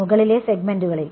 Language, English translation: Malayalam, On the upper segments